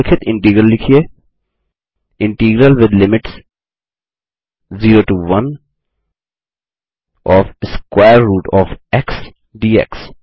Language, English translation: Hindi, Write the following integral: Integral with limits 0 to 1 of {square root of x } dx